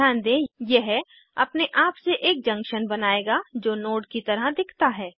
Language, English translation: Hindi, Notice that this will automatically form a junction which appears as a node